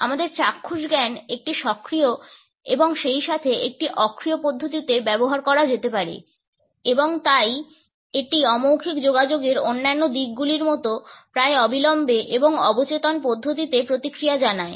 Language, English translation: Bengali, Our visual sense can be used in an active as well as in a passive manner and therefore, it responses in almost an immediate and subconscious manner like all the other aspects of non verbal communication